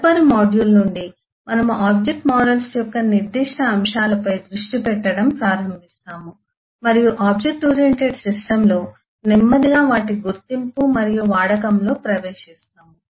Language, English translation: Telugu, in the next module onwards we will start focussing on specific aspects of object models and slowly get into their identification and use in the object oriented system